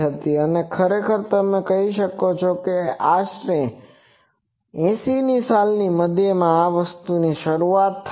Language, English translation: Gujarati, And actually with you can say roughly in mid 80’s this thing started